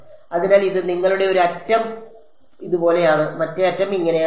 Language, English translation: Malayalam, So, this is your one edge comes in like this, the other edge if it comes like this